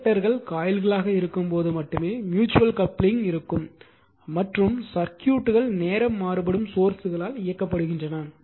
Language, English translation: Tamil, Mutual coupling only exist when the inductors are coils are in close proximity and the circuits are driven by time varying sources